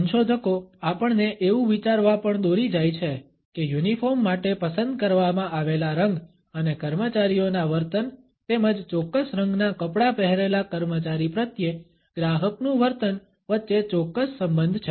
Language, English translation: Gujarati, Researchers also lead us to think that there is a certain relationship between the color which is chosen for a uniform and the behavior of the employees as well as the behavior of a customer towards an employee who is dressed in a particular color